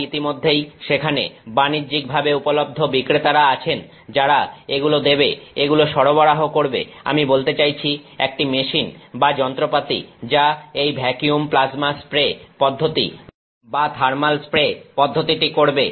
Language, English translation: Bengali, So, there are already there are commercially available vendors who give who supply this I mean a machine or instrument that makes does this process called the vacuum plasma spray process or thermal spray process